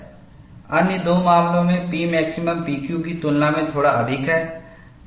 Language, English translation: Hindi, In the other two cases, P max is slightly higher than P Q